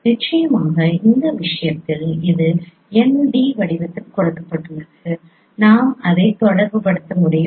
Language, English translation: Tamil, So in this case of course this is given in the form of n d so that we can relate it